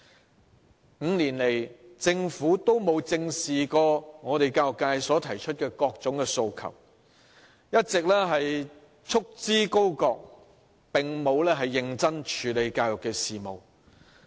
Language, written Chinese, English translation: Cantonese, 政府5年來都沒有正視過教育界提出的各種訴求，一直束之高閣，並沒有認真處理教育事務。, Over the past five years the Government has not faced up to the various aspirations of the education sector but has kept them on the back burner all along without taking education affairs seriously